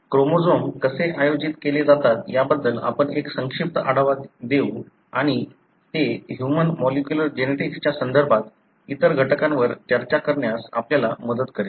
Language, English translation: Marathi, We will give a brief overview as to how the chromosomes are organized and that would help us to discuss other elements in reference to human molecular genetics